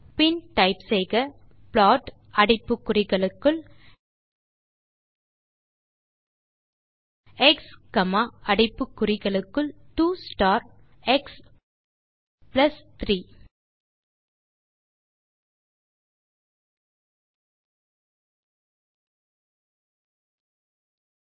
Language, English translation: Tamil, Then type plot within brackets x comma within brackets 2 star x plus 3